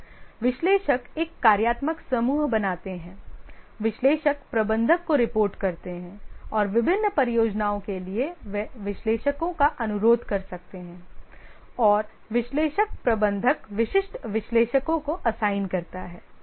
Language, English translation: Hindi, The analysts, they form a functional group, report to the analyst manager and for different projects they may request analysts and the analyst manager assigns them specific analysts